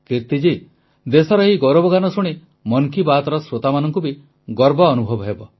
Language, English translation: Odia, Kirti ji, listening to these notes of glory for the country also fills the listeners of Mann Ki Baat with a sense of pride